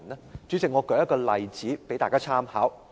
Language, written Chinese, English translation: Cantonese, 代理主席，我舉一個例子供大家參考。, Deputy Chairman I will quote an example for Members reference